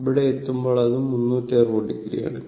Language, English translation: Malayalam, And finally, this point is 360 degree